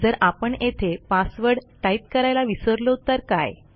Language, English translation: Marathi, Now what happens if I forget to type my password in there